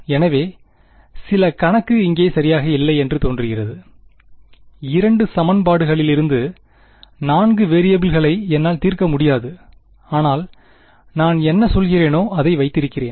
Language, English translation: Tamil, So, some budgeting seems to be off right, I cannot solve for 4 variables from 2 equations, but what I keep, what I have been saying